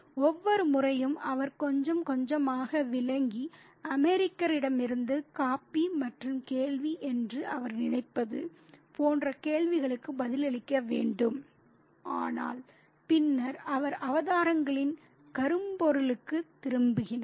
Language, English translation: Tamil, And every now and then he has to digress a little bit and answers questions such as what he thinks is a question about coffee from the American, but then he returns to the theme of the avatars